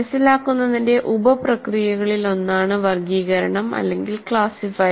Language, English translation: Malayalam, Classify is one of the sub processes of understand